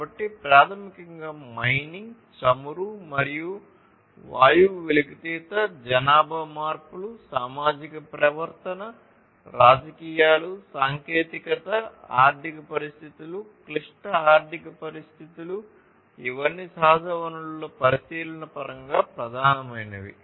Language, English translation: Telugu, So, basically concerns about too much of mining too much of extraction of oil and gas, demographic shifts, societal behavior, politics, technology, economic situations, difficult economic situations all of these are major contributors in terms of the consideration of natural resources